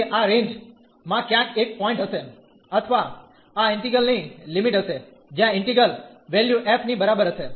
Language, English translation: Gujarati, So, there will be a point somewhere in this range or the limits of this integral, where the integral value will be equal to f